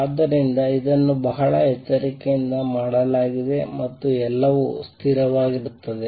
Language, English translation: Kannada, So, this has been done very carefully and everything is consistent